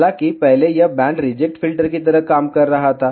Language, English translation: Hindi, However, earlier it was acting like a band reject filter